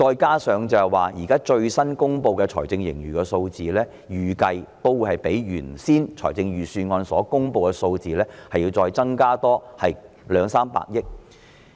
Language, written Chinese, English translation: Cantonese, 況且，最新公布的財政盈餘數字預計將較預算案所公布的數字高兩三百億元。, Moreover it is expected that the latest figure of fiscal surplus will be 20 billion to 30 billion higher than that published in the Budget